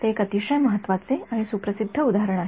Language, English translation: Marathi, It is a very important and well known example